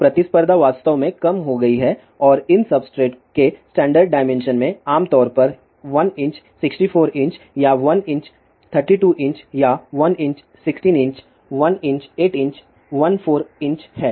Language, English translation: Hindi, So, competition has really reduces and these substrates the standard dimensions of these substrates are typically one by sixty 4 inches or 1 by 32 inches or 1 by 16 inche[s] 1 by 8 inches, 1 by 4; 4 inches